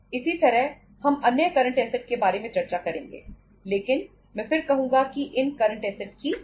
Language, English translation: Hindi, Similarly, we will be discussing about the other current assets but I would again say all these current assets have the cost